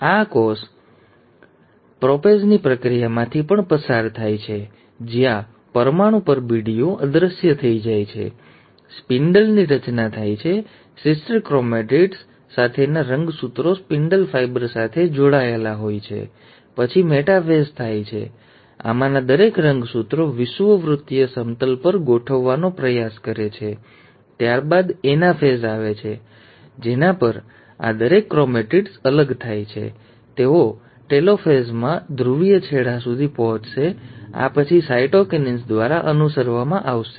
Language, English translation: Gujarati, This cell also undergoes the process of prophase, where the nuclear envelope disappears, spindle formation takes place, the chromosomes with the sister chromatids is attaching to the spindle fibre; then the metaphase happens where each of these chromosomes try to arrange at the equatorial plane, followed by anaphase, at which each of these chromatids will separate, they will reach the polar ends in the telophase, and this will be then followed by cytokinesis